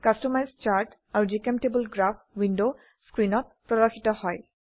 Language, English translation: Assamese, Customize Chart window and GChemTable Graph window appear on the screen